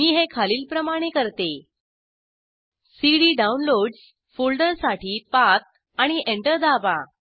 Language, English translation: Marathi, I do this as follows: cd downloads path to the folder and press Enter